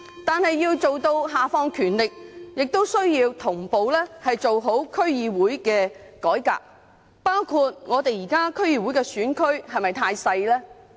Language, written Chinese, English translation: Cantonese, 但是，要下放權力，亦需要同步做好區議會的改革，包括檢討現時區議會的選區是否太小。, However any devolution of powers also requires a concurrent reform of DCs which would include reviewing if the sizes of the current DC constituencies are too small